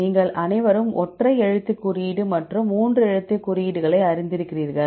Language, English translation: Tamil, You are all familiar with the single letter code and 3 letter codes